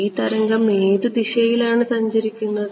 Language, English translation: Malayalam, Which wave which direction is this wave traveling